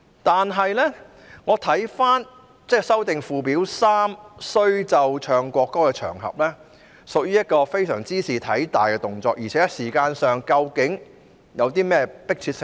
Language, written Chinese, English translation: Cantonese, 但是，如果要對附表3所列"須奏唱國歌的場合"作出修訂，這屬於一個茲事體大的動作，而且在時間上究竟有何迫切性呢？, However the amendment to the Occasions on which National Anthem must be Played and Sung as prescribed in Schedule 3 is a matter of great importance and besides what urgency is there in terms of timing?